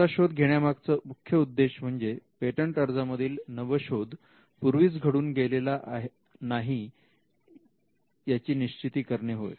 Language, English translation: Marathi, The objective of this search is to ensure that the invention as it is covered in a patent application has not been anticipated